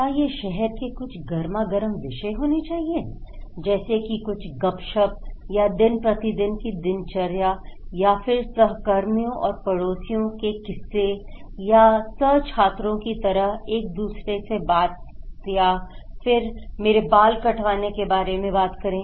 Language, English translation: Hindi, Is it kind of some hot topic of the town like some gossip or just day to day life they want to share with each other like the colleagues or the neighbours or some co workers, co students they do or is it about my haircut